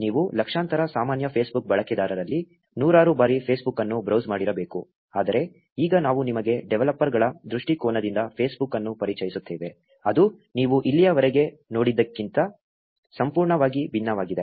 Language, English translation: Kannada, You must have browsed Facebook as one of the millions of common Facebook users hundreds of times, but now we will introduce Facebook to you from a developer's perspective which is entirely different from what you must have seen until now